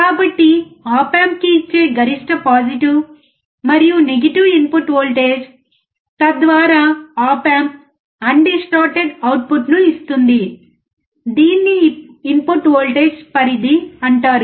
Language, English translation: Telugu, So, the maximum positive and negative input voltage that can be applied so that op amp gives undistorted output is called input voltage range of the op amp